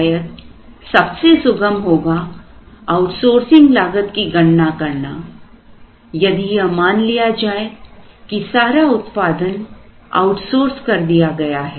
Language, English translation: Hindi, May be, the easiest would be the outsourcing cost assuming that the entire product is outsourced